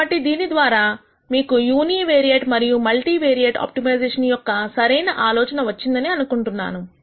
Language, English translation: Telugu, So, with this I hope you have got a reasonable idea of univariate and multi variate optimization, unconstrained non linear optimization